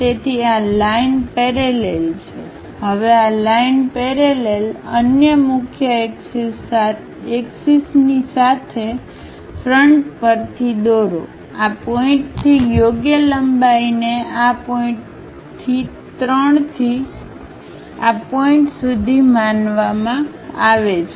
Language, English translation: Gujarati, So, this line this line parallel, now this line parallel with the another principal axis then go ahead and draw it, by transferring suitable lengths from this point to this point supposed to be from 3 to this point